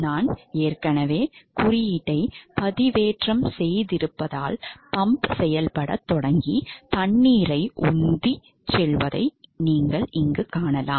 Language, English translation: Tamil, So, since I have already uploaded the code, you can see that the water, the pump is starting to operate and the pump is pumping the water